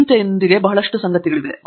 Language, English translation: Kannada, So, there are lot of things associated with worry